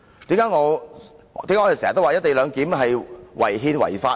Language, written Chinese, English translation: Cantonese, 為何我們常說"一地兩檢"是違憲違法呢？, Why do we always say that the co - location arrangement is unconstitutional and illegal?